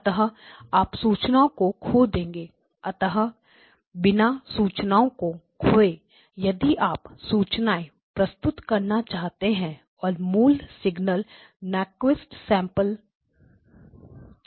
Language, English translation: Hindi, So, you will lose information, so without losing information if you want to represent and the original signal was Nyquist sampled